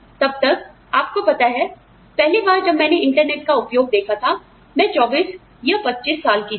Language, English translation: Hindi, Till my, you know, the first time, I saw the, used the internet, was you know, when I was, past the age of 25, 24 or 25